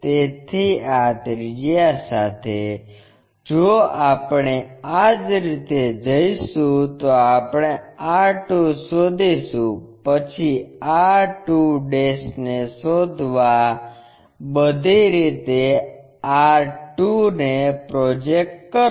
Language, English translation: Gujarati, So, with this radius if we are going in this way we will locate r2, then project this r 2 all the way to locate r2'